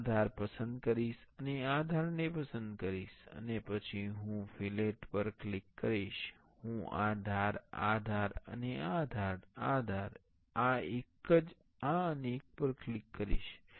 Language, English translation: Gujarati, I will select this edge, and select this edge I will and then I will click on the fillet, I will click on this edge, this edge and this edge, this edge, this one, this one and this one